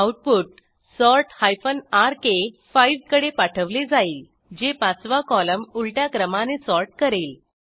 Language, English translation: Marathi, The output is piped to sort rk5, which sorts the fifth column in reverse order